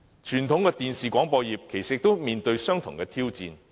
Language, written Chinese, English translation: Cantonese, 傳統的電視廣播業其實亦正面對相同的挑戰。, Conventional television broadcasting service is also facing similar challenges